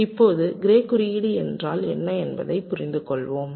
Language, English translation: Tamil, now let us understand what is gray code